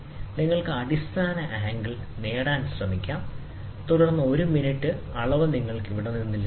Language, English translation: Malayalam, So, you can try to get the base angle, and then a minute, reading you can get it from here